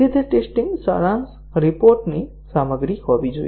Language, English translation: Gujarati, So, that should be the contents of the test summary report